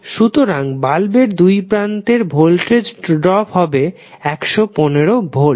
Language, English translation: Bengali, So, voltage drop across the light bulb would come out to be across 115 volt